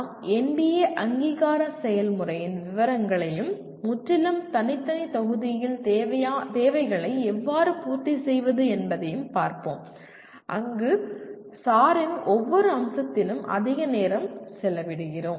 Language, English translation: Tamil, We will be looking at the details of NBA accreditation process and how to meet the requirements in a completely separate module where we spend lot more time on every aspect of SAR